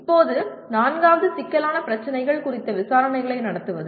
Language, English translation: Tamil, Now fourth one, conduct investigations of complex problems